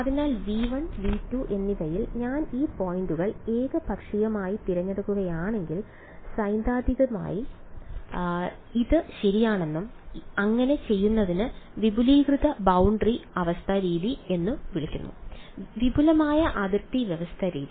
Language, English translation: Malayalam, So, if I pick these points like this arbitrarily in V 1 and V 2 then I mean theoretically it is correct and doing so is called the extended boundary condition method; extended boundary condition method